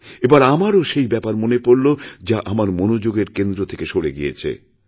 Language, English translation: Bengali, Thus I was also reminded of what had slipped my mind